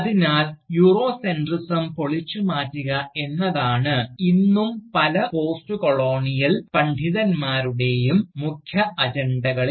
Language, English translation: Malayalam, So, even though, dismantling Eurocentrism, still remains one of the central agendas of, various Postcolonial scholars